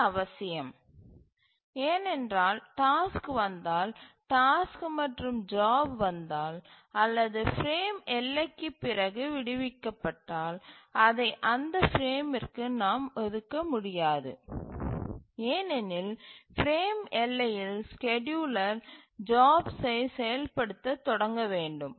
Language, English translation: Tamil, To think of it why this is necessary is that if the task arrives the job the task instance or the job arrives or is released after the frame boundary then we cannot assign that to that frame because at the frame boundary the scheduler must initiate the execution of the job